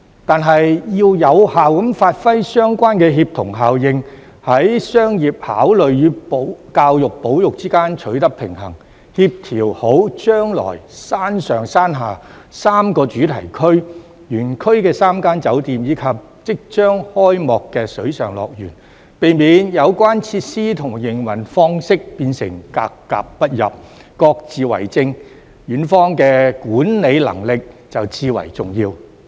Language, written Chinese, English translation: Cantonese, 但是，要有效地發揮相關的協同效應，在商業考慮與教育保育之間取得平衡，妥善協調將來山上山下3個主題區、園區的3間酒店，以及即將開幕的水上樂園，避免有關設施和營運方式變成格格不入、各自為政，園方的管理能力就至為重要。, However in order to effectively achieve synergy strike a balance between commercial considerations and education and conservation properly coordinate the future three themed zones in the upper and lower parks the three hotels in the Park and the soon - to - be - opened Water World so that the facilities and their modes of operation will not be incompatible and inconsistent the management capability of the Park is of utmost importance